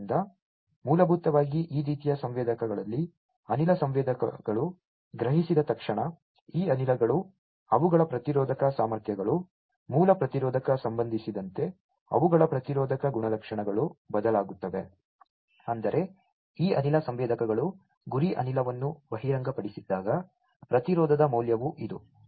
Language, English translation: Kannada, So, as soon as basically in this kind of sensors as soon as the gas sensors senses, this gases, their resistive capacities their resistive properties change with respect to the baseline resistance; that means, when the resistance value when this gas sensors are not exposed the target gas